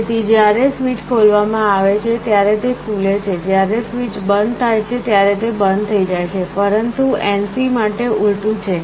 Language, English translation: Gujarati, So, it is open when the switch is opened, it gets closed when the switch is closed, but NC is the reverse